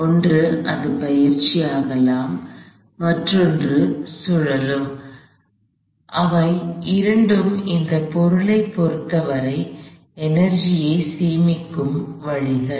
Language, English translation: Tamil, One it could translate and another it could rotate, both of those are ways of storing energy as far as this object is concerned